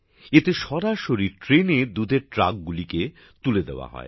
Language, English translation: Bengali, In this, milk trucks are directly loaded onto the train